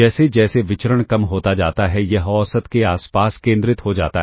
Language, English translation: Hindi, As the variance decreases, it becomes concentrated around the mean